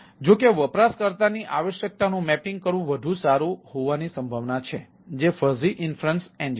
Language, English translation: Gujarati, ah, it is likely to be mapping the user requirement better way that fuzzy inference engine